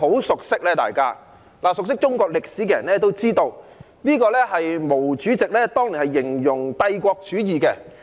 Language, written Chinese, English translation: Cantonese, 熟悉中國歷史的人都知道，這是毛主席當年用來形容帝國主義的。, People who are well - versed in Chinese history will know that this was how Chairman MAO described imperialism back in those years